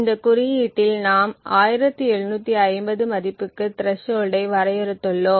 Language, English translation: Tamil, In this code we have defined the threshold to a value of 1750